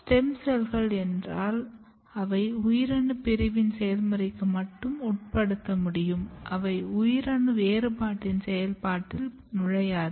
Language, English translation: Tamil, Stem cells means they can only undergo the process of cell division, they do not enter in the process of cell differentiation